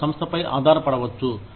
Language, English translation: Telugu, They can depend on the organization